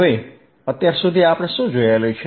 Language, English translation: Gujarati, So, until now what we have seen